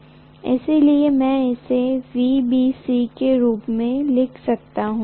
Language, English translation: Hindi, So I can write this as VBC